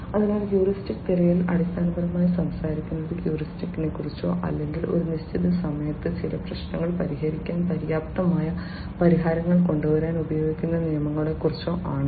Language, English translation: Malayalam, So, heuristic search basically talks about heuristics or rules of thumb being used to come up with solutions which will be good enough to solve certain problems at a certain point of time